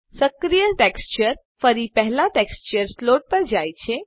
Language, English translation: Gujarati, The active texture moves back to the first slot